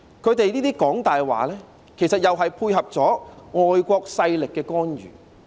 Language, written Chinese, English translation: Cantonese, 他們這樣"講大話"，其實又是配合外國勢力的干預。, In telling those lies they actually meant to render support to the intervention by foreign forces